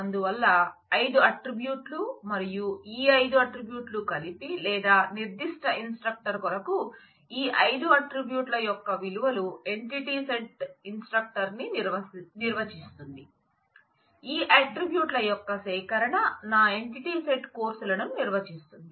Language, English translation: Telugu, So, it has there is 5 attributes and these 5 attributes together or the values of these 5 attributes for a particular instructor defines my entity set instructor, collection of these attributes define my entity set courses